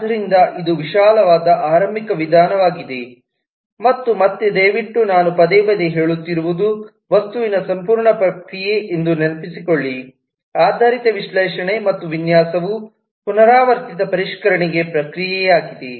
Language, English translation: Kannada, so this is the broad starting approach and again, please recall that what i have been saying very repeatedly is that the whole process of object oriented analysis and design is a iterative refinement process